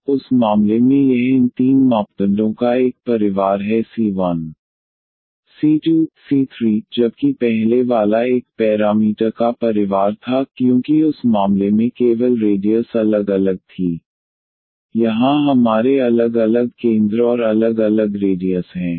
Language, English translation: Hindi, So, in that case this is a family of these three parameters c 1 c 2 c 3, while the earlier one was the family of one parameter, because the only the radius was varying in that case here we have different centers and different radius of the of these circles of this family of circle